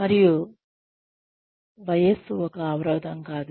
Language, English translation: Telugu, And, age is not a barrier